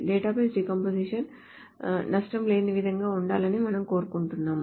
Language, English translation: Telugu, So we would want the database to be such that the decompositions are lossless